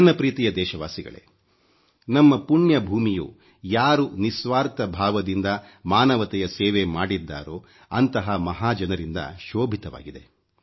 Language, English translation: Kannada, My dear countrymen, our holy land has given great souls who selflessly served humanity